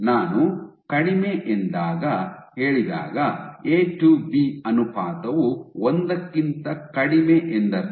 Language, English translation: Kannada, When I say low there is A to B ratio is less than 1